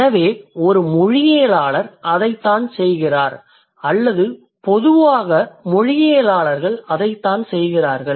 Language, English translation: Tamil, So that is what a linguist does or that is what linguists in general they do